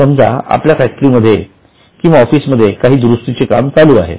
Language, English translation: Marathi, Suppose some repair work is done in our factory or in office